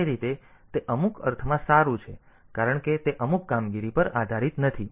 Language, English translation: Gujarati, So, that way it is in some sense it is good because it does not depend on the some operation